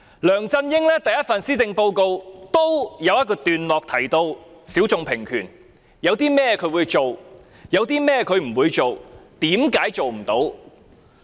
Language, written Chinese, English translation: Cantonese, 梁振英在其第一份施政報告的一個段落中，提到性小眾平權，講述他會做甚麼，不做甚麼，為甚麼做不到。, In the maiden Policy Address of LEUNG Chun - ying there was a paragraph about equal rights for sexual minorities setting out what he would do and would not do and why some work could not be done